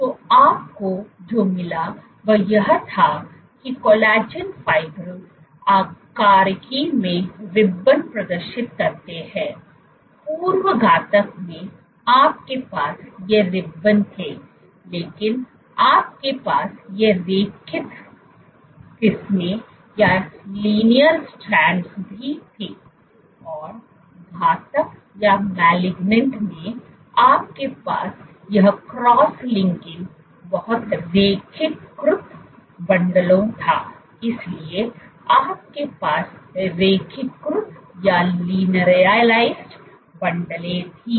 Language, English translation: Hindi, So, what you found was this collagen fibrils exhibit ribbon like morphology; in pre malignant, you had these ribbons, but you also had these linear strands; and in malignant, you had this cross linked very linearized bundles, so you had linearized bundles